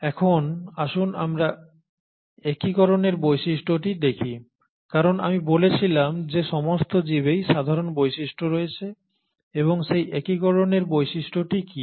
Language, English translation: Bengali, Now let us look at the unifying feature because as I said there are common features across life and what as that unifying features